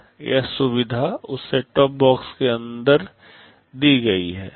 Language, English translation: Hindi, That facility is provided inside that set top box